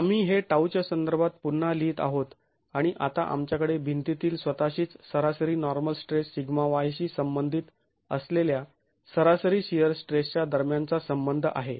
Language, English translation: Marathi, We rewrite this in terms of tau and we now have the relationship between the average shear stress related to the average normal stress sigma y in the wall itself